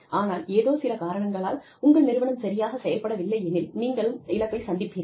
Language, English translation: Tamil, But, if for some reason, your organization is not doing well, then you stand to lose